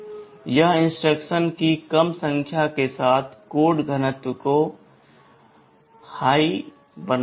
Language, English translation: Hindi, It makes the code density higher, with less number of instructions